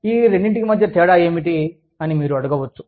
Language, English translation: Telugu, You will ask me, what the difference is